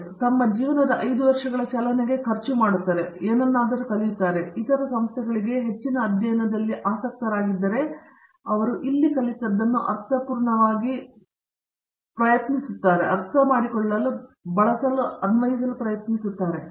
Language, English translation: Kannada, They spend substantial 5 years chunk of their life here and they learn something and then they must go for some, if they are interested in higher studies to some other institutions to see and verify what they have learnt here is meaningful